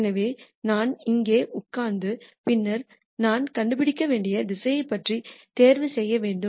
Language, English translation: Tamil, So, I have to sit here and then make a choice about the direction that I need to gure out